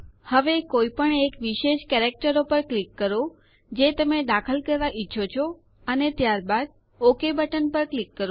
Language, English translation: Gujarati, Now click on any of the special characters you want to insert and then click on the OK button